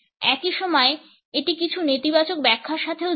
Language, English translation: Bengali, At the same time, it is associated with certain negative interpretations also